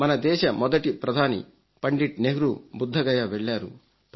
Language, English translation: Telugu, Pandit Nehru, the first Prime Minister of India visited Bodh Gaya